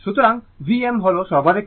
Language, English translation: Bengali, So, V m is the maximum value